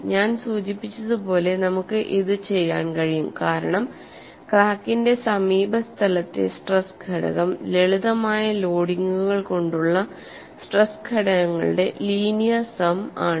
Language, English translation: Malayalam, We are able to do this because the stress component in the neighborhood of a crack is the linear sum of the stress components introduced by simplified loadings